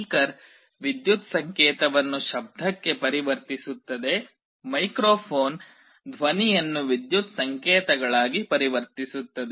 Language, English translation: Kannada, A speaker converts an electrical signal to sound; microphone converts sound into electrical signals